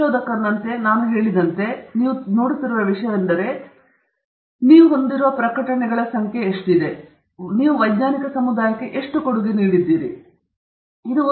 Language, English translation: Kannada, As a researcher, as I said, one of the things that people look at is the number of publications you have, as some measure of how much you have been contributing to the scientific community